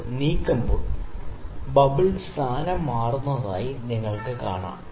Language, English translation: Malayalam, When we move it you can see the bubble is changing it is position